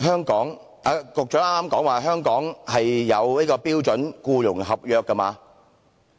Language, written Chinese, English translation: Cantonese, "局長剛才是否提到香港有標準僱傭合約？, Did the Secretary mention just now that we have the standard employment contract here in Hong Kong?